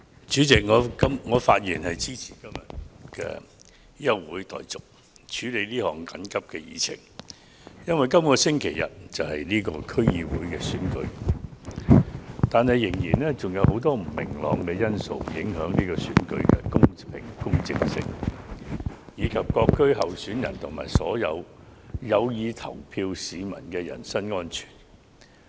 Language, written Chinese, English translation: Cantonese, 主席，我發言支持今天的休會待續議案，優先處理這項緊急的議程，因為本周日便舉行區議會選舉，但卻仍有許多不明朗因素會影響這場選舉的公平性，以及各區候選人和所有有意投票市民的人身安全。, President I speak in support of the adjournment motion . We should discuss this urgent agenda item first because the District Council DC Election will be held this Sunday but many uncertainties may still affect the fairness of the election and the safety of the candidates and the people who intend to vote in different districts